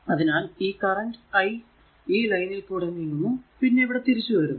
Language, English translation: Malayalam, So, the i moving in the line here also and here also returning, right